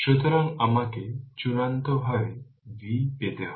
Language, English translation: Bengali, So, we have to final you have to get the v